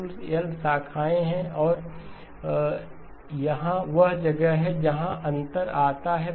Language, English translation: Hindi, There are total of l branches and here is where the difference comes